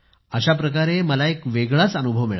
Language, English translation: Marathi, So I had a different sort of experience in this manner